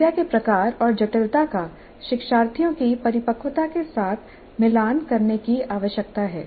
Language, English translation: Hindi, Type and complexity of the problem needs to be matched with the maturity of the learners